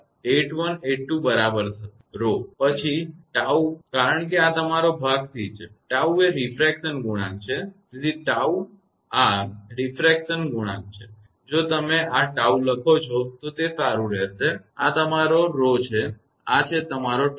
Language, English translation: Gujarati, 8182 right, rho; then tau because this one is been at the your part c; c is the refraction coefficient, so tau this is refraction coefficient, it will better if you write this is tau and this is your rho, this is tau